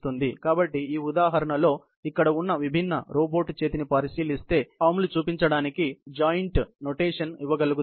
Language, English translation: Telugu, So, if we consider the different robot arms, which are here in this example, we could be able to give a joint notation to show these arms